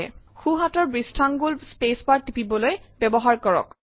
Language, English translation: Assamese, Use your right thumb to press the space bar